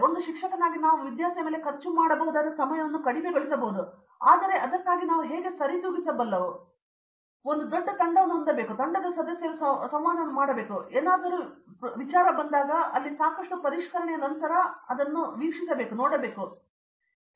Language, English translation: Kannada, As a faculty the amount of time we can spend on a student as also decreased but how do we compensate for that is to have a larger team and the team members interact and when, when something comes up to you it is after lot of refinement there and I have seen that